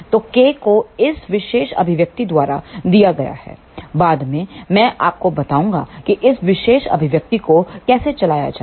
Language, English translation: Hindi, So, K is given by this particular expression, later on I will tell you how to drive this particular expression